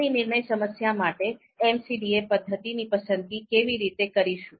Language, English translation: Gujarati, Now, how do we go about selecting a particular MCDA method for our decision problem